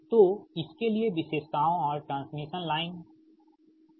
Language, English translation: Hindi, so for this, for the characteristics and transmission line, right